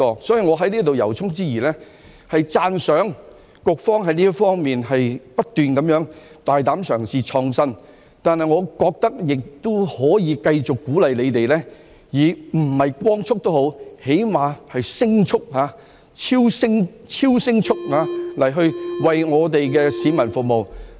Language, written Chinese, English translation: Cantonese, 所以，我要在此由衷讚揚局方不斷大膽嘗試和創新，但我覺得亦可以繼續鼓勵它們，即使不是以光速，最低限度也是以聲速、超聲速地為我們的市民服務。, Hence here I would like to give my sincere compliment to the Bureau for its continuous bold attempts and innovations . But I think we can also continue to encourage them to serve the public if not at the speed of light then at least at the speed of sound or supersonic speed